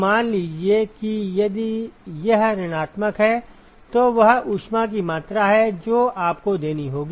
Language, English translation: Hindi, Now supposing if it is negative then that is the amount of heat that you have to supply